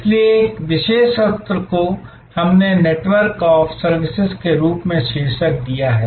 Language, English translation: Hindi, So, this particular session we have titled as Network of Services